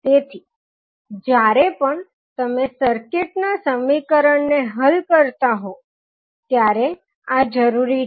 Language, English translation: Gujarati, So, these are required whenever you are solving the circuit equation